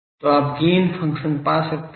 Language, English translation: Hindi, So, you can find the gain function ok